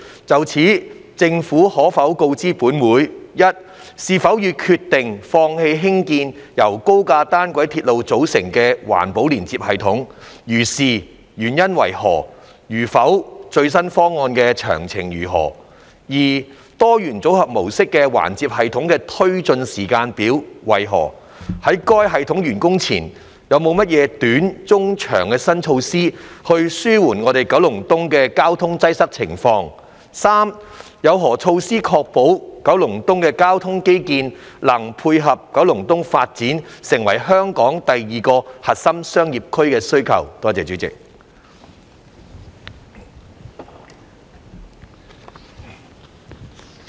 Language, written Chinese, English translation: Cantonese, 就此，政府可否告知本會：一是否已決定放棄興建由高架單軌鐵路組成的環接系統；如是，原因為何；如否，最新方案的詳情為何；二多元組合模式環接系統的推展時間表為何；在該系統完工前，有何短、中期的新措施紓緩九龍東的交通擠塞情況；及三有何措施確保九龍東的交通基建能配合九龍東發展成香港第二個核心商業區的需要？, In this connection will the Government inform this Council 1 whether it has decided to give up constructing an EFLS comprising an elevated monorail; if so of the reasons for that; if not the details of the latest proposal; 2 of the implementation timetable of the multi - modal EFLS; what new measures it will prior to the completion of the system put in place in the short and medium term to alleviate the traffic congestion situation in Kowloon East; and 3 of the measures in place to ensure that the transport infrastructure of Kowloon East can cater for the needs of the development of Kowloon East into Hong Kongs second Core Business District?